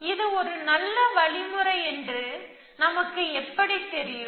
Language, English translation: Tamil, So, how do we know it was a good algorithm